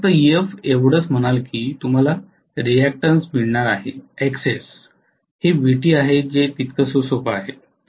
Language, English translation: Marathi, You will just say this is Ef you are going to have a reactance is Xs and that is it, this is Vt which is available that is it as simple as that